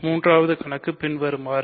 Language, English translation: Tamil, So, the third problem is the following